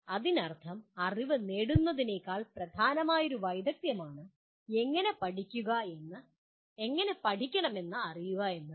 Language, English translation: Malayalam, That means knowing how to learn is a more important skill than just acquiring knowledge